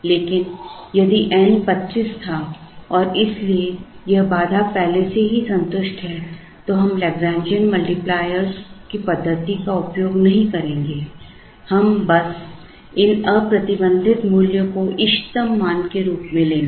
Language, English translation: Hindi, But, if N was 25 and therefore, this constraint is already satisfied, then we will not use the method of Lagrangian multipliers, we would simply take these unconstrained values as optimum values